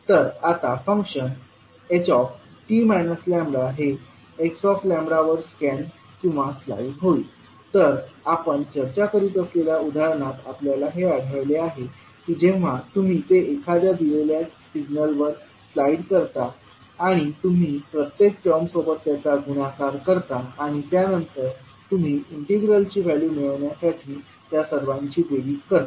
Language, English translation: Marathi, Now the functions h t minus lambda scans or slides over h lambda, so this what we saw in the example which we were discussing that when you slide over the particular given signal and you take the product of each and every term and then you sum it up so that you get the value of integral